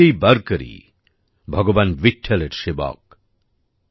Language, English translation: Bengali, Everyone is a Varkari, a servant of Bhagwan Vitthal